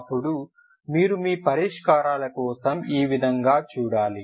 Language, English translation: Telugu, So this is how you should look for your solutions